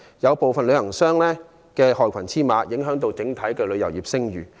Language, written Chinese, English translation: Cantonese, 有部分旅行商淪為害群之馬，影響整體旅遊業的聲譽。, Some travel agents being black sheep have ruined the overall reputation of the travel industry